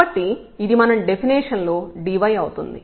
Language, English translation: Telugu, So, this is dy in our definition